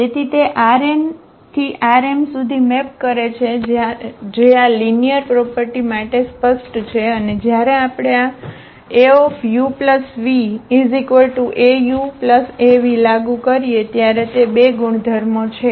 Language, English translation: Gujarati, So, it maps from R n to R m that is clear and these linear property, those are 2 properties when we apply this a on u plus v